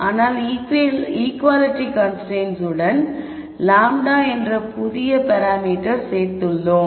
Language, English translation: Tamil, But with an equality constraint we have added a new parameter lambda